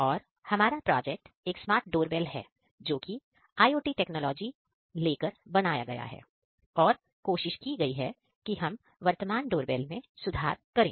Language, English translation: Hindi, Our project is a Smart Doorbell which is using the IoT technologies to improve the present day doorbells